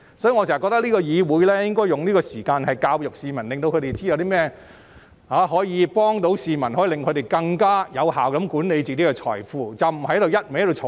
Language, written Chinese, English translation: Cantonese, 所以，我覺得議會應該花時間教育市民，令他們知道甚麼可以幫助他們更有效管理財富，而不是只顧漫罵。, Scheme members should understand that they actually have a choice . Therefore I think it is better for the Council to educate the public about wealth management than wasting time on insults . Hurling insults is no solution to problems but will bring in votes